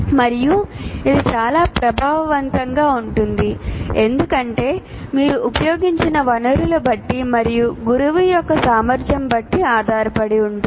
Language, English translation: Telugu, And it can be very effective because of the resources that you have used and the competence of the teacher and so on